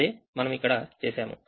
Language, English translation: Telugu, so we have done this